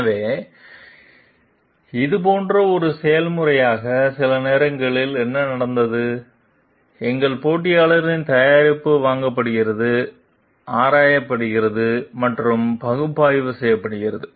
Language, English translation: Tamil, So, as a process of it like; sometimes what has happened, our competitor s product are purchased, examined and analyzed